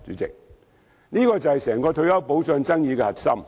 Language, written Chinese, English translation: Cantonese, 這便是整個退休保障爭議的核心。, This is the core of the dispute on retirement protection